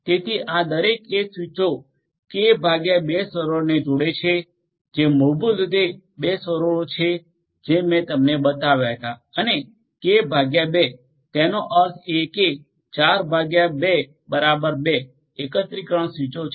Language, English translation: Gujarati, So, each of these edge switches are going to connect to k by 2 servers which are basically the 2 servers that I had shown you and k by 2; that means, 4 by 2 equal to 2 aggregation switches